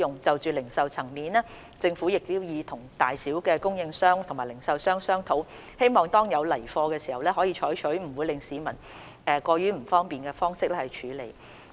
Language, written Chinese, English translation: Cantonese, 就零售層面而言，政府已與各大小供應商和零售商商討，希望當有來貨時，可以採取不會令市民過於不便的方式處理。, As for retail the Government has been in liaison with suppliers and retailers at all levels . It is hoped that when stock is available it can be handled without causing too much inconvenience to members of the public